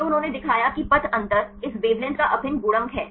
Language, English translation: Hindi, So, they showed that the path difference is the integral multiples of this wavelength